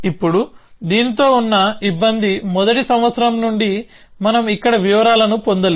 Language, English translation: Telugu, Now, the trouble with this is from first yearly we are not into details here